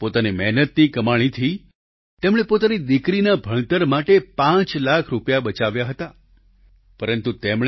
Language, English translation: Gujarati, Through sheer hard work, he had saved five lakh rupees for his daughter's education